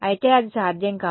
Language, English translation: Telugu, Of course, that is not possible